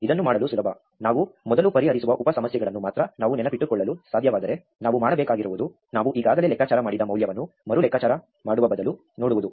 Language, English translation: Kannada, This is easy to do, if we could only remember the sub problems that we have solved before, then all we have to do is look up the value we already computed rather than recompute it